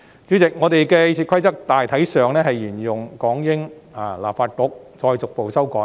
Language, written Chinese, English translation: Cantonese, 主席，立法會的《議事規則》大體上沿用港英立法局那一套，再逐步作出修改。, President RoP of the Legislative Council has generally been following the one used by the British Hong Kong Legislative Council with some amendments over the time